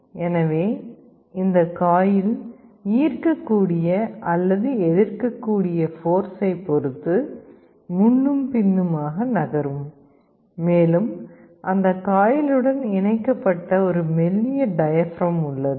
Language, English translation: Tamil, So, this coil will be moving forward and backward depending on the attractive or repulsive force and there is a thin diaphragm connected to that coil